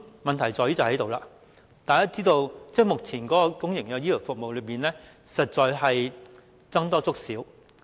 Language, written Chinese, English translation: Cantonese, 問題便在於此，大家知道，目前的公營醫療服務實在是"僧多粥少"。, As we all know there is an excess of demand over supply for public health care services